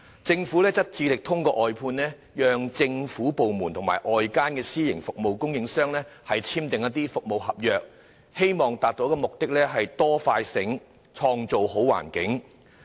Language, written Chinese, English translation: Cantonese, 政府希望透過外判，讓政府部門與外間的私營服務供應商簽訂服務合約，從而達致"多快醒，創造好環境"的目的。, The Government wishes to achieve the objective of building a better environment with greater concern faster response and smarter services through outsourcing allowing government departments to enter into service contracts with private service providers outside the Government